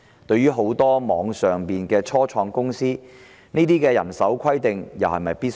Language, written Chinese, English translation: Cantonese, 對於很多網上初創公司，這些人手規定又是否必要？, Is it essential to apply such a staffing requirement to many online start - ups?